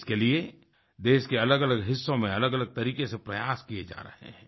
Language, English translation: Hindi, For this, efforts are being made in different parts of the country, in diverse ways